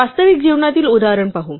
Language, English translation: Marathi, Let us look at a real life example